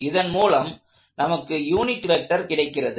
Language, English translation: Tamil, So, that happens to give me a unit vector that looks like that